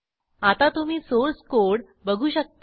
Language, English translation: Marathi, You can see the Source code now